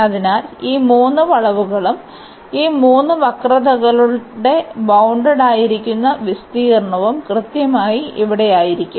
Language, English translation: Malayalam, So, these 3 curves and the area bounded by these 3 curves will be precisely this one here